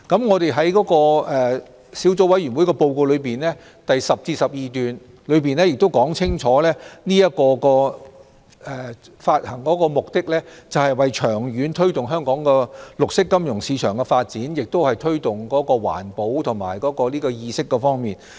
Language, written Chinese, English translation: Cantonese, 我們在小組委員會報告第10至12段，亦說明發行綠色債券的目的是為了長遠推動綠色金融市場的發展，以及推廣環保意識。, As indicated in paragraphs 10 to 12 of the Subcommittee report green bond issuances seek to develop the green financial market in the long run and promote environmental awareness . Therefore the programme under discussion is different from bonds issued in the past in particular those issued pursuant to Cap . 61A Cap